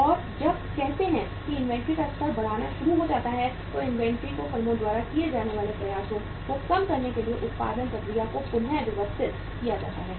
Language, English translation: Hindi, And when say the inventory level starts mounting, production process is readjusted so to bring the inventory down the efforts which are made by the by the firms